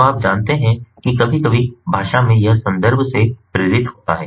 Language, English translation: Hindi, so you know, sometimes language processing it is context driven